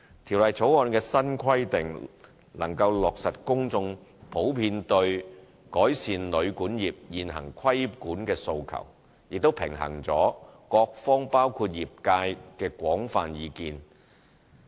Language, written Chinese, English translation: Cantonese, 《條例草案》的新規定能落實公眾普遍對改善旅館業現行規管的訴求，亦平衡了各方包括業界的廣泛意見。, New requirements of the Bill will meet public aspirations for enhancing the current regulatory regime over hotels and guesthouses operations . It has also balanced the views of a broad cross section of all parties concerned including the trade